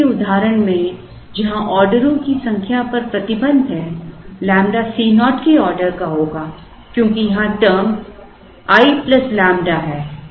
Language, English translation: Hindi, In the earlier example where, there is a restriction on the number of orders lambda would be of the order of C naught because the term here is i plus lambda